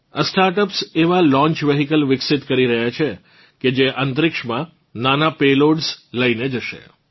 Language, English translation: Gujarati, These startups are developing launch vehicles that will take small payloads into space